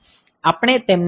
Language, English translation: Gujarati, So, we will look into them